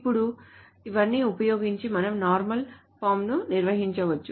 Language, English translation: Telugu, Now, using all of this, so we can define the normal forms